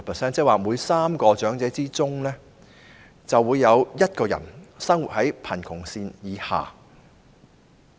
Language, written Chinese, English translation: Cantonese, 這即是說，每3名長者之中，便有1人生活在貧窮線以下。, There are almost 350 000 of them and the poverty rate is 30.5 % which means that one out of every three elderly people is living below the poverty line